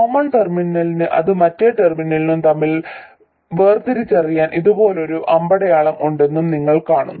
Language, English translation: Malayalam, And you also see that the common terminal has an arrow like this to distinguish between that and the other terminal